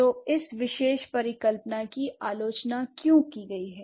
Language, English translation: Hindi, So, why this particular hypothesis has been criticized